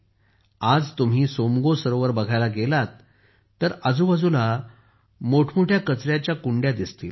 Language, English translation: Marathi, Today, if you go to see the Tsomgolake, you will find huge garbage bins all around there